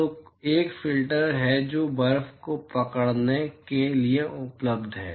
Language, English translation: Hindi, So, there is a filter which is available to capture snow